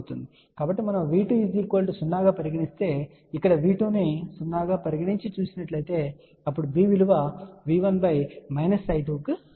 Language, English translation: Telugu, So, if we put V 2 equal to 0, so we can see here if V 2 is put 0 here then V 1 divided by minus I 2 will be equal to B